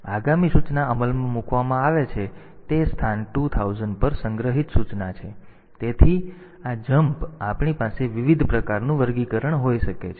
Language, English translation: Gujarati, So, that the next instruction executed is the instruction stored at location 2000 so, this jump we can have different type of classification